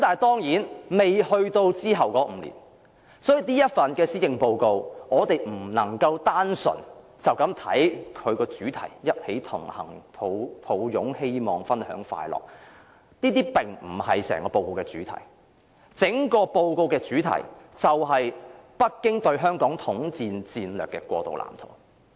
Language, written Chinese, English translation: Cantonese, 當然，現在仍未到達隨後的5年，所以我們不能單純地解讀這份施政報告的主題，即"一起同行擁抱希望分享快樂"，這並非整份報告的主題，而是北京對香港統戰戰略的過渡藍圖。, Of course we have yet to live through the next five years so we cannot simply interpret the theme of this Policy Address as such We Connect for Hope and Happiness . This is not the main theme of the whole Policy Address which instead is the transition blueprint of Beijings strategy for the united front work to be performed in Hong Kong